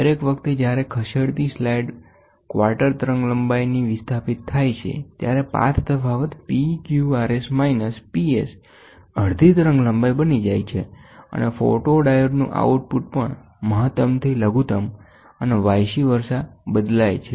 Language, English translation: Gujarati, Each time the moving slide is displaced by a quarter wavelength, the path difference PQRS minus PS becomes half a wavelength and the output of the photodiode also changes from maximum to minimum and vice versa